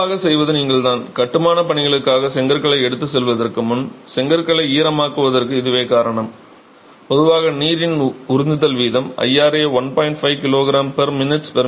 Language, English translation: Tamil, So, what is typically done is you, this is the reason why you wet bricks before you take it to the site for construction and typically if the water absorption rate IRA is about 1